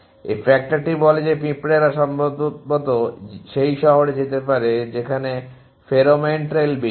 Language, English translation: Bengali, This factor says the ants likely to follow that to good go to that city on which the pheromone trails is higher